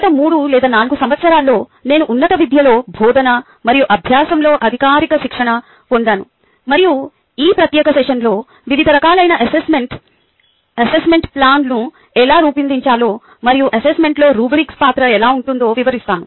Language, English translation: Telugu, in last three or four years i have had formal training in teaching and learning within the higher education and in this particular session i will go through the different types of assessment, as how to design an assessment plan and the role of rubrics within the assessment